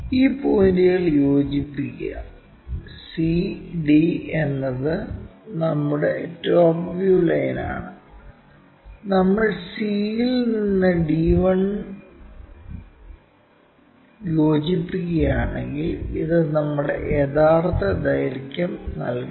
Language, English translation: Malayalam, Join these points c d is our top view line, and true length line from c if we are joining d 1, this gives us our true length